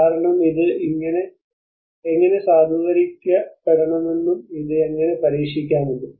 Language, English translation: Malayalam, Because, how this could be tested how this has to be validated